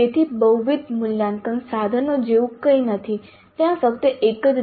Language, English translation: Gujarati, So there is nothing like multiple assessment, there is only one